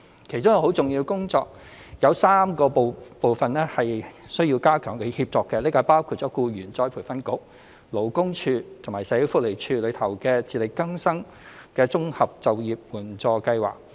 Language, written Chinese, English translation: Cantonese, 其中一項很重要的工作，是有3個部分需要加強協作，包括僱員再培訓局、勞工處及社會福利署的"自力更生綜合就業援助計劃"。, A very important task is to strengthen collaboration among three parties including the Employees Retraining Board ERB the Labour Department LD and the Social Welfare Department SWD which administers the Integrated Employment Assistance Programme for Self - reliance